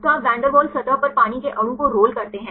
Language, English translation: Hindi, So, you roll water molecule on the van der Waals surface